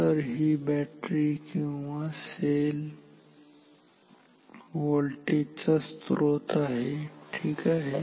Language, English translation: Marathi, So, this is a battery or cell a voltage source ok